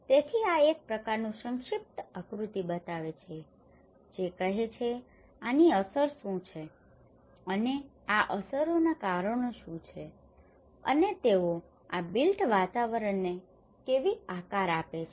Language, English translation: Gujarati, So this is a kind of brief diagram shows like saying that what are the impacts and what are the causes for these impacts and how they shape these built environments